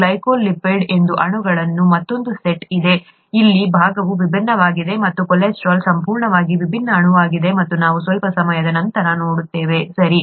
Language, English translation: Kannada, There is another set of molecules called glycolipids where this part is different and cholesterol which is completely different molecule, we will see that in a little while, okay